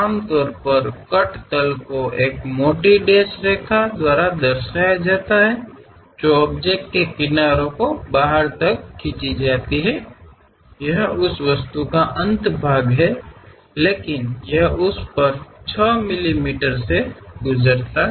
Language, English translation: Hindi, Usually the cut planes represented by a thick dashed line that extend past the edge of the object; this is the edge of that object, but it pass ok over that, 6 mm